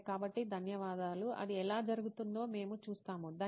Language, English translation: Telugu, Okay, so thank you so we will see how it goes, thank you so much